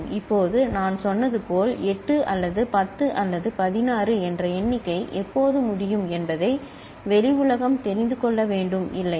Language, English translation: Tamil, Now as I said we the external world needs to know that when that count of 8 or 10 or 16 has been completed, isn't it